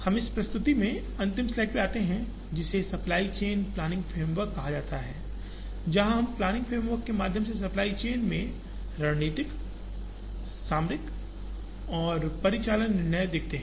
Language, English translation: Hindi, We come to the last slide in this presentation, which is called supply chain planning framework, where we show the strategic tactical and operational decisions in the supply chain through a planning framework